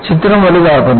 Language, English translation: Malayalam, The figure is magnified